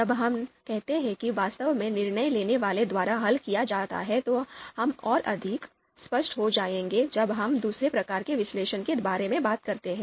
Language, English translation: Hindi, What we mean by when we say actually solved by decision maker, it would be more clear when we talk about the other type of analysis